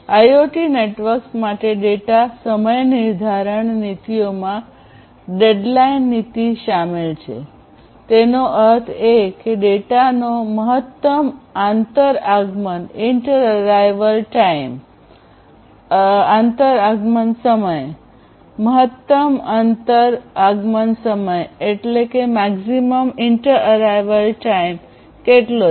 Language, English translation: Gujarati, Then data timeliness policies for IoT networks include the deadline policy; that means, the maximum inter arrival time of data; how much is the maximum inter arrival time